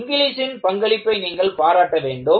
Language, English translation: Tamil, The contribution of Inglis, you have to appreciate